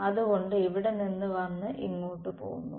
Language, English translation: Malayalam, So, it came from here and went here ok